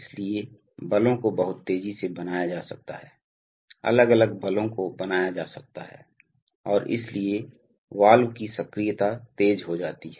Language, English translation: Hindi, So therefore, forces can be created very fast, varying forces can be created and therefore the valve actuation becomes fast